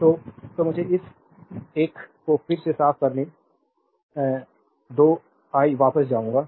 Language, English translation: Hindi, So, that so, let me clean this one again I will be back to you right